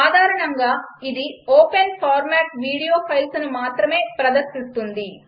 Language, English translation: Telugu, By default, it plays the open format video files only